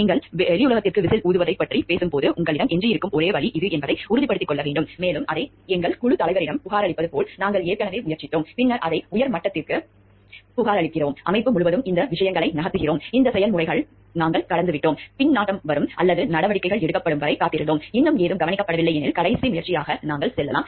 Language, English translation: Tamil, And it should be made sure like whistle blowing that to when you are talking of whistle blowing to the outside world is the only option which is left with you and we have already tried through like reporting it to our may be team lead, then reporting it to the higher ups and moving these things up throughout organization and we have gone through this processes, waited for the feedback to come or actions to be taken and still if you find nothing has been taken care of, then as a last resort when maybe we can go for whistle blowing